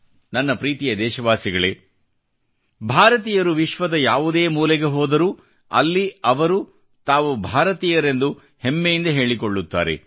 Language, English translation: Kannada, My dear countrymen, when people of India visit any corner of the world, they proudly say that they are Indians